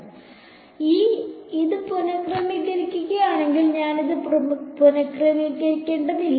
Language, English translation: Malayalam, So, if I rearrange this I need not rearrange this